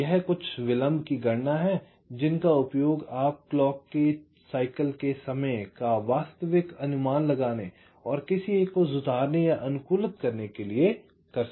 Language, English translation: Hindi, ok, so these are some delay calculation you can use to actual estimate the clock cycle time and to improve or or optimise one